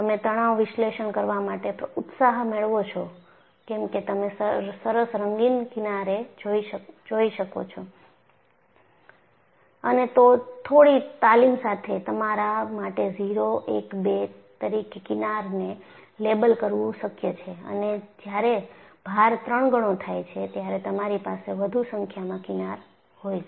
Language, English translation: Gujarati, So, you get an enthusiasm to do stress analysis because you can see nice colored fringes, and with some training, it is possible for you to label the fringes as 0, 1, 2, and when the load istripled, you have higher number of fringes